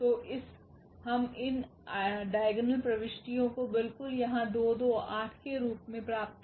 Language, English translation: Hindi, So, we are getting these diagonal entries absolutely the same here 2 2 8